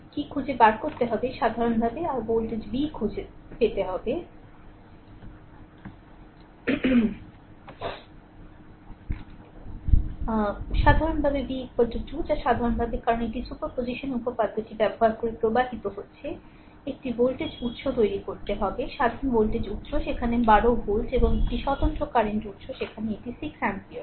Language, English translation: Bengali, You have to find out what is the what you call; you have to find out that your voltage v in general, v is equal to 2 i that is in general right, because this is current i is flowing using superposition theorem you have to make one voltage source is there, independent voltage source is there 12 volt and one independent current source is there it is 6 ampere right